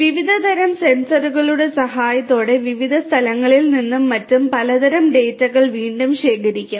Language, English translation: Malayalam, With the help of different types of sensors which will be again collecting different types of data from different locations and so on